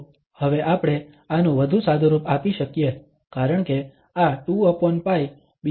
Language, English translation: Gujarati, So, we can now further simplify this because this 2 over pi can go to the other side